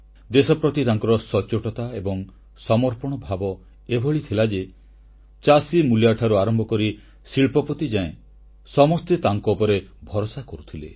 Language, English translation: Odia, Such was his sense of honesty & commitment that the farmer, the worker right up to the industrialist trusted him with full faith